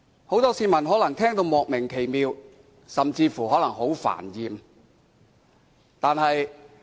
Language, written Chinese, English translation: Cantonese, 很多市民可能聽得莫名其妙，甚至感到煩厭。, Many members of the public may find such remarks baffling or even disgusting